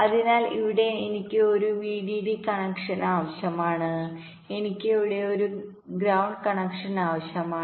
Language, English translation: Malayalam, so here i require a vdd connection, here i require a ground connection here